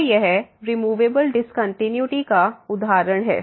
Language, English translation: Hindi, So, this is the example of the removable discontinuity